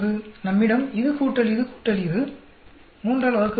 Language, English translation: Tamil, We have this plus this plus this divided by 3